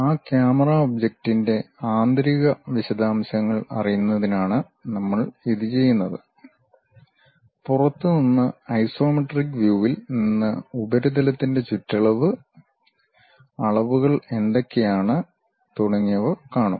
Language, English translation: Malayalam, This we do it to know interior details of that camera object, from outside at isometric view we will see the periphery of the surface, what are the dimensions and so on